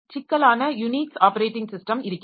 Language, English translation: Tamil, So we have got more complex like Unix operating system